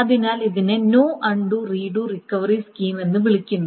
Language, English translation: Malayalam, So this is called no undo or redo recovery scheme